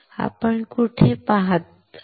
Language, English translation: Marathi, Where are we